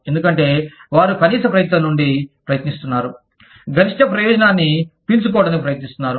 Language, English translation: Telugu, Because, they are trying to, suck the maximum benefit out of, the minimum amount of effort